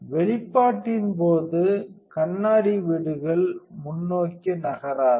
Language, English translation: Tamil, During exposure the mirror housing does not move forward